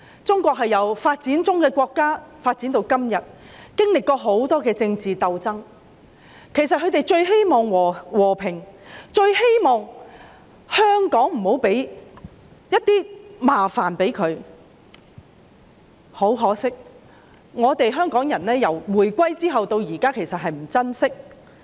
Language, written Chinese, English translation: Cantonese, 中國由發展中國家發展至今天，經歷了很多政治鬥爭，他們最希望和平，最希望香港不要給國家添麻煩，但可惜香港人自回歸至今也不珍惜。, From a developing country to the China today our country has experienced a lot of political struggles in the course of development . They yearn for peace and earnestly hope that Hong Kong will not bring troubles to the State . Regrettably the people of Hong Kong have not cherished this since the reunification